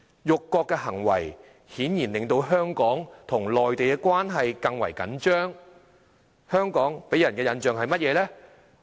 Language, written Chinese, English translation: Cantonese, 辱國行為顯然令到香港與內地的關係更為緊張，香港給人的印象是甚麼？, Obviously the acts of insult to the country have made the relationship between Hong Kong and the Mainland more strained so what impression does Hong Kong give?